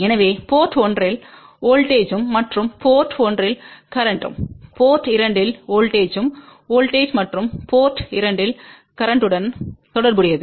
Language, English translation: Tamil, So, voltage at port 1 and current at port 1, relate to voltage at port 2 and current at port 2